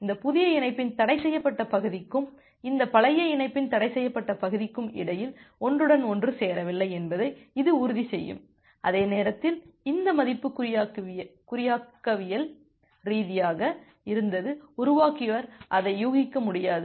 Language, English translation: Tamil, So, that way it will ensure because you are going higher of that, it will ensure that there is no overlap between the forbidden region of this new connection and the forbidden region of this old connection, and at the same time because this value was cryptographically generated the attacker will be not be able to guess that